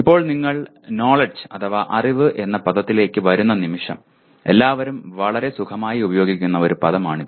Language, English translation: Malayalam, Now, the moment you come to the word knowledge it is a word that is used by everyone quite comfortably